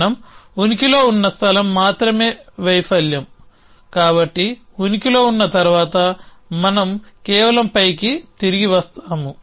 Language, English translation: Telugu, Only place we will exist which failure so of after we exist from this off course we just return on pi